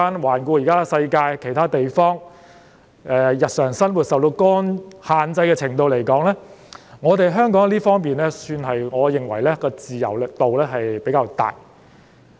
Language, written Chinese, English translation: Cantonese, 環顧現時世界其他地方，以市民日常生活受到限制的程度來說，我認為香港在這方面的自由度算是比較大。, Looking at other places around the world now I think Hong Kong has greater freedom in terms of the degree to which peoples daily life is restricted